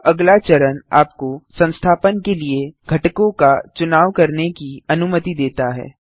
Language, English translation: Hindi, This next step allows you to choose components to install